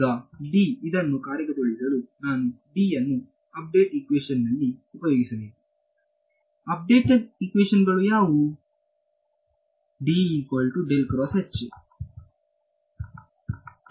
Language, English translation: Kannada, Now, in order to implement this D because I will need this D to put it into the update equations right; what are the update equations